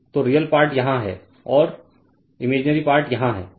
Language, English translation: Hindi, So, real part is here and imaginary part is here right